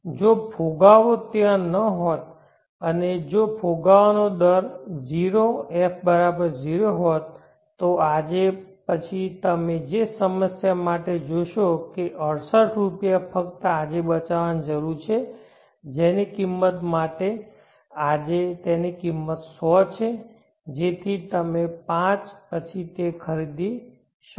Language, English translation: Gujarati, If inflation are not there if inflation rate were 0 F=0, then for the same problem you will see that rupees 68 only needs to be saved today which for an item it costs 100 today, so that you may buy it after five years